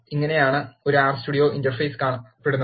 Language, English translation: Malayalam, This is how an R Studio Interface looks